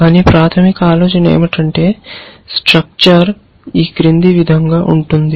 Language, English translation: Telugu, But the basic idea is that the structure is as follows